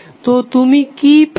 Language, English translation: Bengali, So, what you get